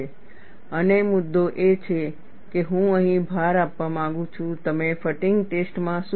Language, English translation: Gujarati, And the point I would like to emphasize here is, what do you do in a fatigue test